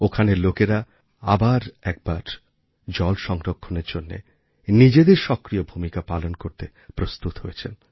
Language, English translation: Bengali, The people here, once again, are ready to play their active role in water conservation